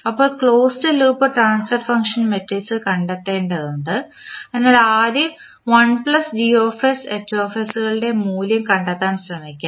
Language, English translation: Malayalam, Now, we need to find the closed loop transfer function matrix so first we will try to find out the value of I plus Gs Hs